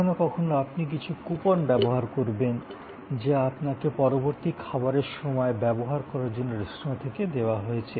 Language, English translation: Bengali, Sometimes you may be using some coupon, which you have received from the restaurant for using your next meal